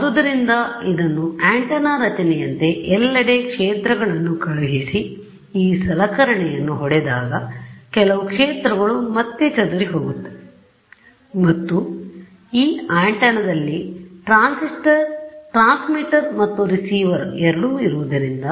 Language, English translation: Kannada, So, they are sending fields everywhere, and what happens is when it hits this object right some of the fields will get scattered back, and this antenna both transmitter and receiver both are there